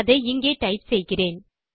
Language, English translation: Tamil, Let me type it here